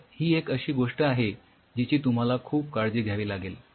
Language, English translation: Marathi, So, this is another thing which you have to be very careful